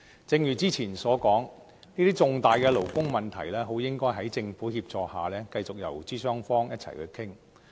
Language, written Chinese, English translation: Cantonese, 正如之前所說，這些重大勞工問題應該在政府協助下繼續由勞資雙方一起討論。, As I said earlier on discussions on such a major labour issue should be held by employers and employees with the assistance of the Government